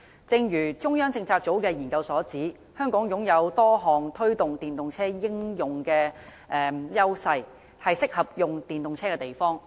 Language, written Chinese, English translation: Cantonese, 正如中央政策組的研究所指，香港擁有多項推動電動車應用的優勢，是適合使用電動車的地方。, As pointed out by the Study Hong Kong enjoys a number of unique advantages in promoting the use of EVs and is a suitable place for using EVs